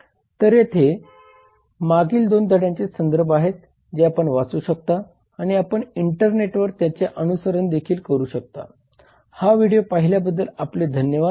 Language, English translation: Marathi, so here are the references for the previous 2 lessons you can read them and you can also follow them in the internet thank you watching this video have a good day